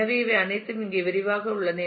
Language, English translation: Tamil, So, this is all detailed here just